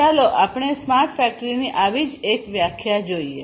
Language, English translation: Gujarati, So, let us look at one such definition of smart factory